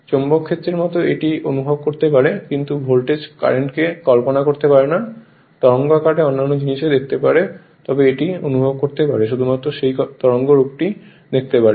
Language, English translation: Bengali, Like your magnetic field you can feel it, but you cannot visualise cu[rrent] voltage current you can see the wave form other things you, but you can feel it, but you cannot see in your open eyes only you can see that wave form right